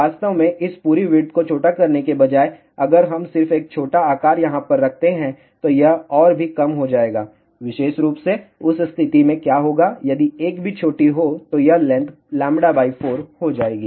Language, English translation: Hindi, In fact, instead of shorting this entire width if we just put single short over here size will reduce even further, in that particular case what will happen if there is a single short then this length will become lambda by 4